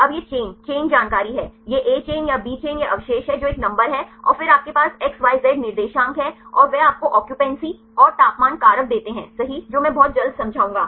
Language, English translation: Hindi, Now, this is the chain, chain information, this A chain or B chain this is the residue a number and then you have the coordinates the X Y Z coordinates and they give you the occupancy and the temperature factor right that I will explain very soon